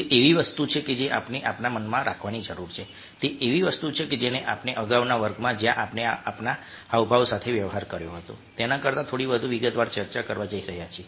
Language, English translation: Gujarati, that is something which we have going to discuss today in slight greater detail than in the earlier class, where we dealt with gestures